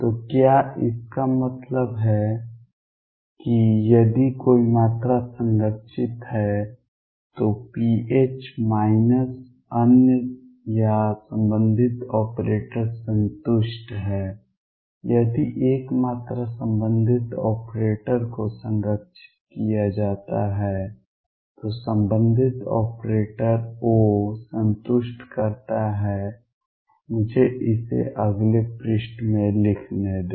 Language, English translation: Hindi, So, what; that means, is if a quantity is conserved pH minus other that or corresponding operator satisfies if a quantity is conserved the corresponding operator, the corresponding operator O satisfies let me write this in the next page